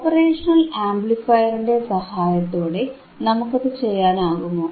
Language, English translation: Malayalam, And can we design it with it with the help of operational amplifier,